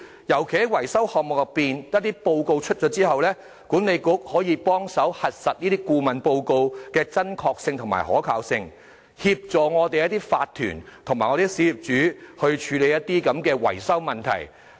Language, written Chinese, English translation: Cantonese, 尤其是在維修項目報告擬定後，管理局可以幫助核實這些顧問報告的真確性和可信性，協助法團和小業主處理維修問題。, Particularly when the report on maintenance items is drafted BMA may help verify the authenticity and reliability of those consultancy reports thereby assisting OCs and small property owners in handling maintenance issues